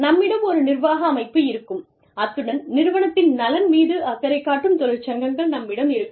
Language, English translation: Tamil, We will have, an administrative body, and we will have unions, who are looking after the welfare, of the organization